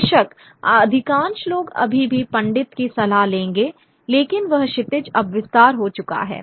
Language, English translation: Hindi, Of course most people would still take the advice of a pundit but that there is a broadening of that horizon